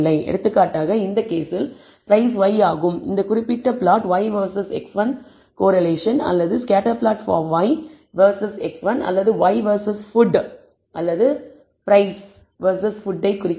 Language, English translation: Tamil, For example, in this case remember price is y, y versus x 1 this particular plot shows the correlation or the scatter plot for y versus x 1 or y versus food, price versus food